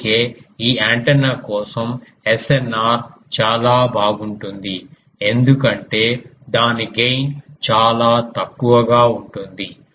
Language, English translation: Telugu, And that is why the SNR for this antenna will be very good because its gain is very poor ah